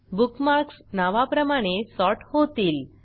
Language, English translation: Marathi, The bookmarks are sorted by name